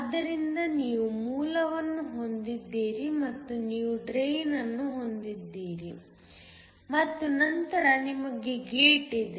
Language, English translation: Kannada, So, you have a source and you have a Drain and then you have a gate